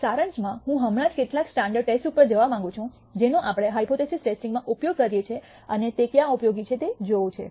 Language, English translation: Gujarati, In summary I want to just go over some of the standard tests that we use in hypothesis testing and see where they are useful